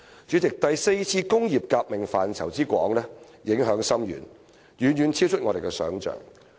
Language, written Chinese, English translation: Cantonese, 主席，第四次工業革命範圍之廣、影響之深，遠遠超出我們的想象。, President the vast dimensions and profound effects of the fourth industrial revolution are far beyond our imagination